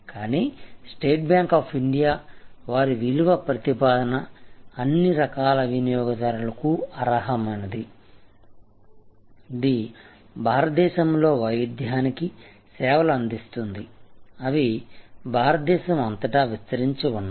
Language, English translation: Telugu, But, State Bank of India, even their value proposition is that deserve all kinds of customers, this serve the Diversity of India, they are spread all over India